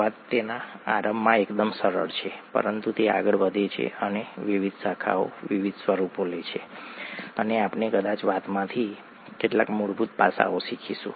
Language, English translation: Gujarati, The story is rather simple in its inception but it goes on and it takes various branches, various forms, and we will probably learn some fundamental aspects from the story, various fundamental aspects